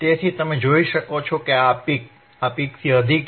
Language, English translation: Gujarati, So, you can see this peak is higher than the this peak right